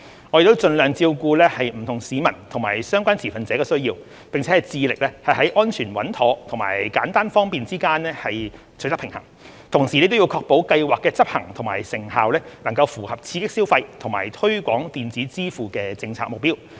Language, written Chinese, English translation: Cantonese, 我們已盡量照顧不同市民及相關持份者的需要，並致力在安全穩妥及簡單方便之間取得平衡，同時亦要確保計劃的執行和成效能符合刺激消費和推廣電子支付的政策目標。, We have strived to cater for the needs of different people and stakeholders and have endeavoured to strike a balance between security and simplicity while ensuring that the implementation and effectiveness of the Scheme are in line with the policy objectives of boosting consumption and promoting the use of electronic payment